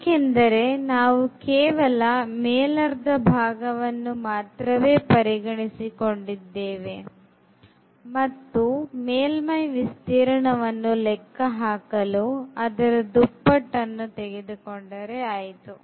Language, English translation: Kannada, Because, we are considering the upper part of this sphere and we can make it the double to compute the surface area of the whole sphere